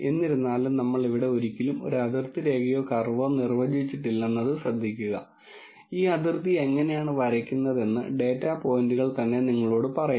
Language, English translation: Malayalam, Nonetheless notice how we have never defined a boundary line or a curve here at all, the data points themselves tell you how this boundary is drawn